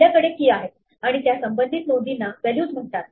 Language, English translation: Marathi, We have keys and the corresponding entries in the list are called values